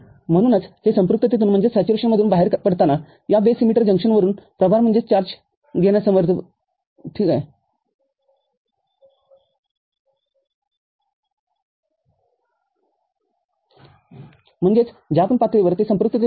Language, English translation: Marathi, So, this helps in taking the charge from this base emitter junction when it is coming out of saturation, I mean, whatever level it goes into the saturation